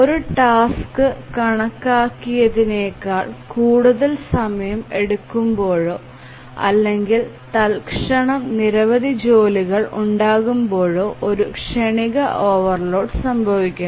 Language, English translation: Malayalam, A transient overload occurs when a task takes more time than it is estimated or maybe too many tasks arise at some time instant